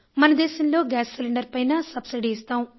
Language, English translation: Telugu, In our country, we give subsidy for the gas cylinders